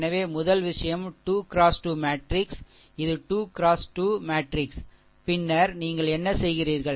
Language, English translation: Tamil, So, first thing is your 3 into 3 matrix, this is your 3 into 3 matrix, and then what you do